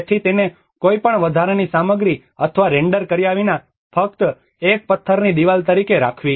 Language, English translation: Gujarati, So, without giving any additional material or a render to it but just keeping as a stone wall